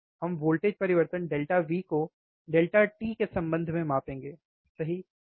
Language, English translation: Hindi, We will measure the voltage change delta V with respect to delta t, right, why